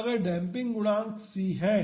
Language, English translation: Hindi, So, the damping coefficient is c